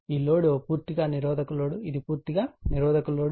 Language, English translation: Telugu, This load is a purely resistive load right, this is a purely resistive load